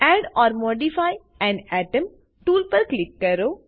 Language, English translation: Gujarati, Click on Add or modify an atom tool